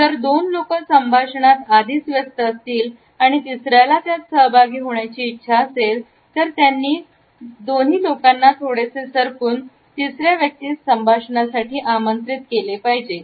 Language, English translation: Marathi, If two people are already engross in the dialogue and the third person wants to participate in it, the two people who are already in the dialogue have to move in such a position that the third person feels invited